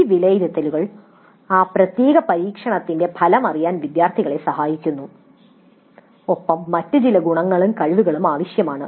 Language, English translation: Malayalam, Now these assessments help the students know the outcome of that particular experiment as well as maybe some other attributes and skills that are required